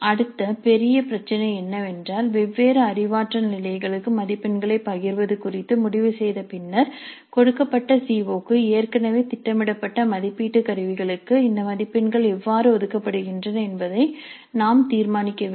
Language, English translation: Tamil, Then we need to decide the next major issue is that having decided on the distribution of marks to different cognitive levels we need to decide how these marks are allocated to the assessment instruments already planned for a given CIO